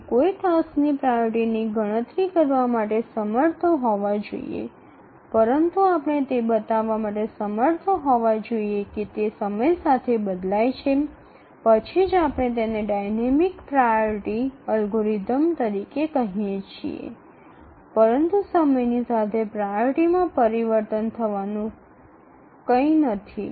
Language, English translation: Gujarati, So, not only we should be able to calculate the priority of a task, but also we should change the, we should show that it changes with time, then only we can call it as a dynamic priority algorithm